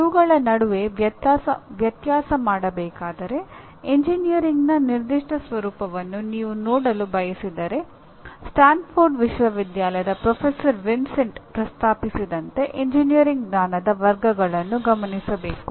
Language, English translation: Kannada, If you want to differentiate, if you want to see the specific nature of engineering one has to address the categories of engineering knowledge as proposed by Professor Vincenti of Stanford University